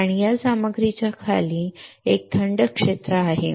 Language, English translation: Marathi, And below this material below this here there is a cooling,cooling area right